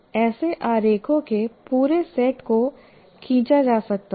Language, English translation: Hindi, One can draw a whole set of this kind of diagrams